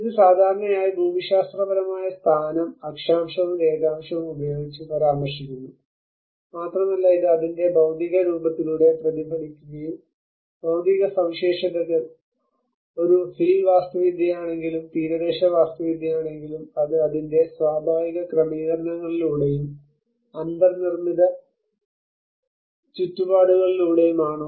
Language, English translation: Malayalam, Which is normally referred with a geographical location by the Latitude and longitude, and it also reflects through its material form and which is a physical features, whether is a hill architecture, whether it is the coastal architecture, whether it is through its natural settings and the built environments